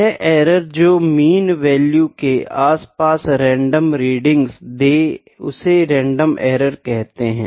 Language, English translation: Hindi, So, the error that causes readings to take random like values about mean value is known as random error